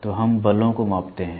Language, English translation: Hindi, So, we measure the forces